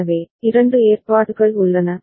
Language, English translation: Tamil, So, there are two arrangements